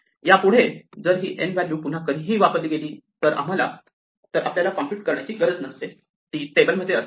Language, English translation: Marathi, Henceforth, if this value n is ever invoked again, we never have to look up the thing we never have to compute it; it will be in the table right